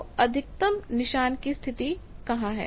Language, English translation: Hindi, What is the maxima position